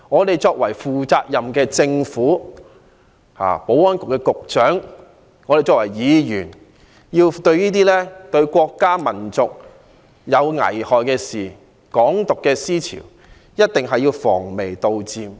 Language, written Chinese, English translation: Cantonese, 身為負責任的政府的官員，保安局局長與身為議員的我們，對於危害國家民族的事情、"港獨"的思潮，必須防微杜漸。, The Secretary for Security as an official of a responsible Government and we as Members must guard against the ideology of Hong Kong independence that harms our country and nation